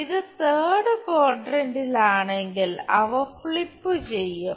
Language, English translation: Malayalam, If it is in third quadrant they will flip